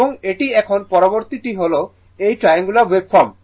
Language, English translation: Bengali, And, this one, now next one is this is triangular waveform